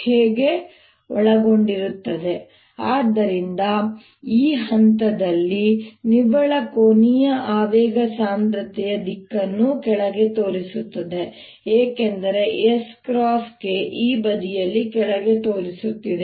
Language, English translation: Kannada, how about the net angular momentum contains so net at this point the direction of the angular momentum density is pointing down, because this is s cross k is pointing down on this side also